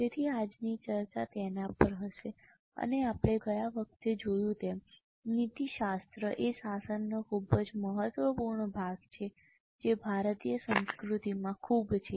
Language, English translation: Gujarati, And as we have seen last time, ethics is very important part of governance which is very much there in Indian culture